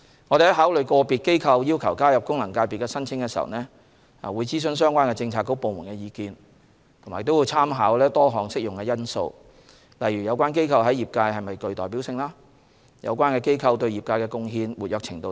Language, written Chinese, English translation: Cantonese, 我們在考慮個別機構要求加入功能界別的申請時，會諮詢相關政策局/部門的意見，並參考多項適用的因素，例如有關機構在業界是否具代表性、對業界的貢獻、活躍程度等。, In considering a request for inclusion into an FC made by an individual body we will consult the relevant bureauxdepartments and draw reference from various applicable factors such as the representativeness as well as the degree of contribution and activity of the body in the sector concerned